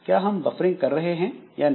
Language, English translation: Hindi, So, are you doing it using some buffering or not